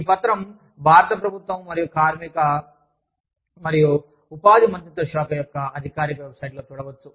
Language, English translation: Telugu, This document, can be found on the official website of the, Ministry of Labor and Employment, Government of India